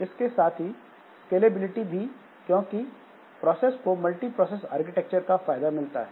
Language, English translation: Hindi, And scalability, the process can take advantage of multiprocessor architecture